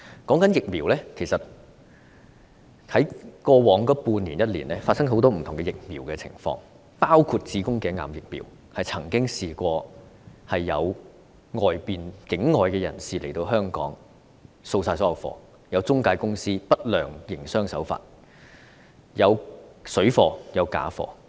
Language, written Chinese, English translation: Cantonese, 關於疫苗，其實過去半年至一年發生了很多不同的情況，包括有境外人士來港掃清所有子宮頸癌疫苗存貨、有中介公司採取不良營商手法、市面出現水貨及假貨等。, As far as the vaccine is concerned notably a number of different situations have come up over the past six months to one year including the depletion of HPV vaccine stocks by people from outside Hong Kong adoption of unfair trade practices by some intermediaries and emergence of parallel imports and counterfeit goods in the market